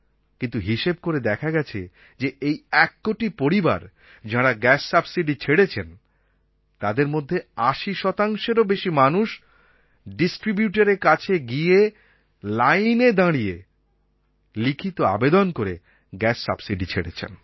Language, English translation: Bengali, But it has been estimated that more than 80% of these one crore families chose to go to the distributor, stand in a queue and give in writing that they wish to surrender their subsidy